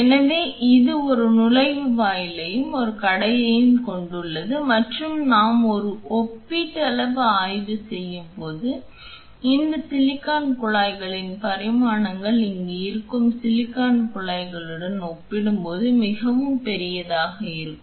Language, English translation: Tamil, So, it has one inlet and one outlet and when we do a comparative study the dimensions of this silicon tubing is much larger when compared to silicon tubing which is here